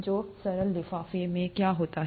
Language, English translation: Hindi, So what does the cell envelope contain